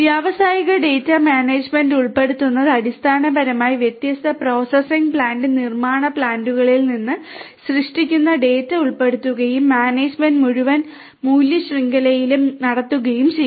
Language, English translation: Malayalam, Incorporating industrial data management basically will incorporate data that is generated from different processing plant manufacturing plants and so on and the management is done in the entire value chain